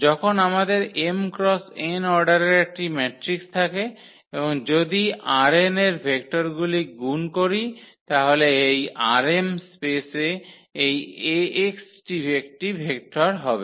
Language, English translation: Bengali, So, when we have a matrix of m cross n order and if we multiply vector from R n, so, this Ax will be a vector in this R m space